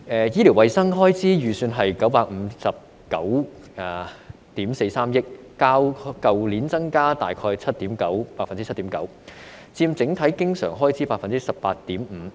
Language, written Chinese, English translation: Cantonese, 醫療衞生開支預算是959億 4,300 萬元，較去年增加大概 7.9%， 佔整體經常開支 18.5%。, The estimated expenditure on healthcare is 95.943 billion which represents an increase of about 7.9 % compared to last year and accounts for 18.5 % of the overall current expenditure